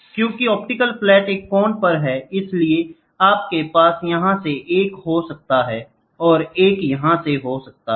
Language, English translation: Hindi, Because the optional flat is at an angle so, you might have one from here, one from here also